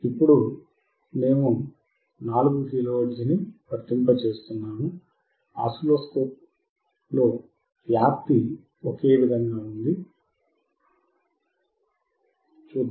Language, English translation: Telugu, Now we are applying 4 kilo hertz, amplitude is same, let us see the oscilloscope